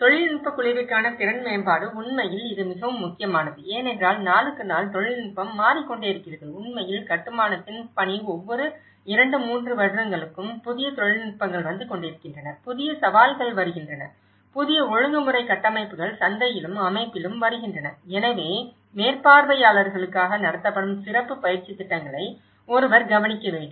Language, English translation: Tamil, Capacity building for technical group; in fact, this is very important because day to day, the technology is changing and in fact, the task of the construction is also it’s changing for every 2, 3 years of the new technologies coming up, new challenges are coming up, new regulatory frameworks are coming up in the market and also in the system, so that is where one has to look at the specialist training programs conducted for supervisors